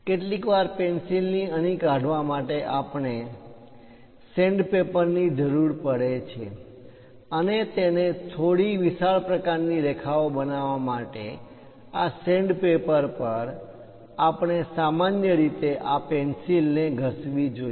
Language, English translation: Gujarati, To sharpen the pencil sometimes, we require sand paper and also to make it bit wider kind of lines on this sand paper, we usually rub this pencil